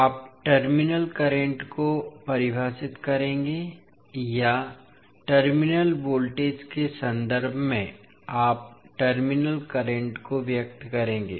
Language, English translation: Hindi, You will define the terminal currents or you will express the terminal currents in terms of terminal voltage